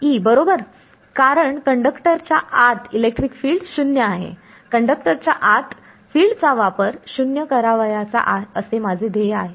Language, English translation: Marathi, E right because inside a conductor electric field is 0; so I that is the goal, that is the sort of property I want to utilize fields inside a conductor as 0